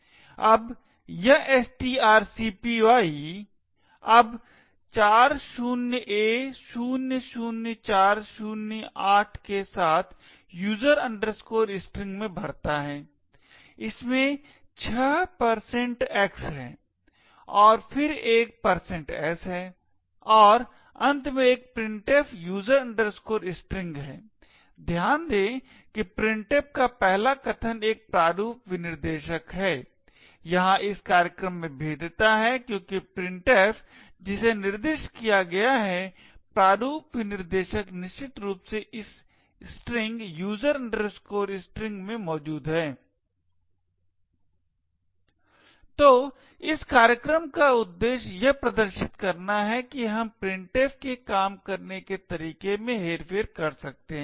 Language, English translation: Hindi, Now this string copy now fills in user string with 40a00408 there are six %x’s and then a %s and finally there is a printf user string, note that the first argument to printf is a format specifier, there is a vulnerability in this program because the printf which is specified here the format specifier is essentially this string present in user string, so the objective of this program is to demonstrate that we could manipulate the way printf works